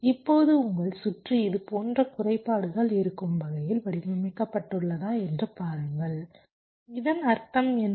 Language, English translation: Tamil, if your circuit has been designed in such a way that there are glitches like this, what does that mean